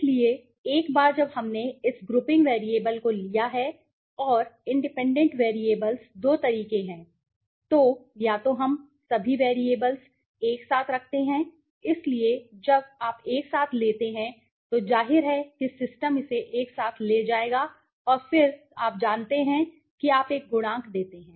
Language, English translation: Hindi, So, once we have taken this grouping variable and the independent variables there are two methods, so either we put in all the variables together simultaneously, so when you take simultaneously the obviously the system will take it together and then you know give you a coefficient